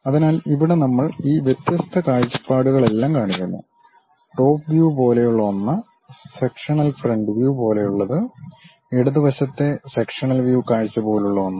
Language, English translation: Malayalam, So, here we are showing all these different views; something like the top view, something like sectional front view, something like left hand sectional view